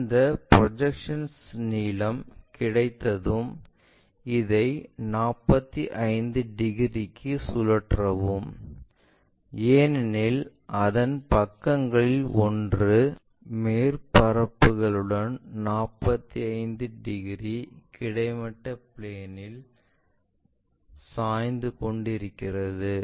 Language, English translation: Tamil, Once that projected length is available we use the same projected length, but with a 45 degrees because is making one of its sides with its surfaces 45 degrees inclined to horizontal plane